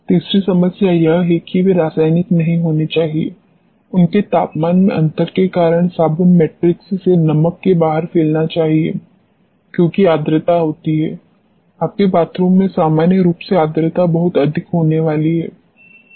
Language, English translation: Hindi, The third problem is they should not be chemical, they should be diffusing out of the salt out of the soap matrix because of temperature, difference because of the humidity; normally humidity is going to be very high in your bathrooms and all